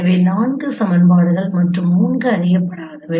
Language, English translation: Tamil, So there are four equations and three unknowns